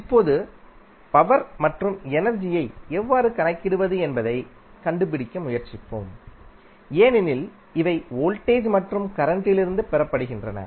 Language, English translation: Tamil, Now, let us try to find out how to calculate the power and energy because these are derived from voltage and current